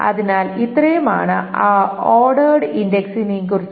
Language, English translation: Malayalam, So, that is about the ordered index